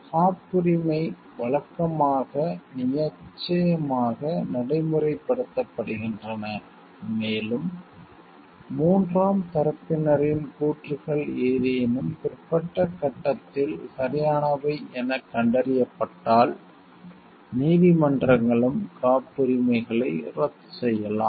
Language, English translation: Tamil, Patents are usually enforced in courts and courts, can also cancel patents in the case the claims of the third party are found to be right if at any alter stage